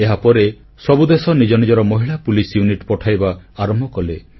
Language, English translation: Odia, Later, all countries started sending their women police units